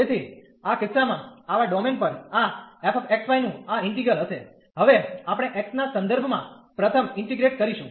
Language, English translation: Gujarati, So, in this case this integral of this f x, y over such domain will be now we will integrate first with respect to x